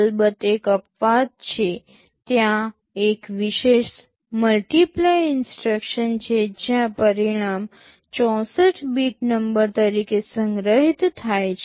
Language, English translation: Gujarati, There is of course one exception; there is a special multiply instruction where the result is stored as a 64 bit number